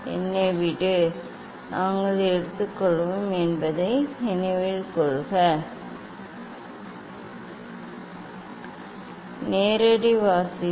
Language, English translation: Tamil, let me; remember that we have taken the direct reading